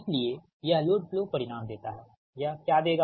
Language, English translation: Hindi, therefore, this load flow results give the what it will give